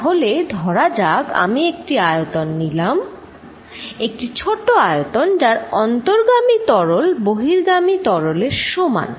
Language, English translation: Bengali, So, let us see if I take a volume small volume here, if whatever that fluid is coming in whatever is leaving is equal